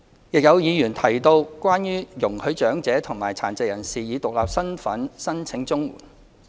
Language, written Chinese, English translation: Cantonese, 有議員提到容許長者和殘疾人士以獨立身份申請綜援。, Some Members proposed allowing the elderly and persons with disabilities to apply for CSSA on an individual basis